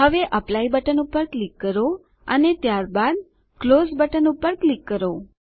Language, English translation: Gujarati, Now click on the Apply button and then click on the Close button